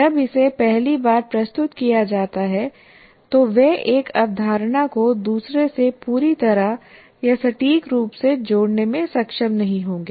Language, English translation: Hindi, When it is first time presented, they will not be able to fully or accurately connect one to the other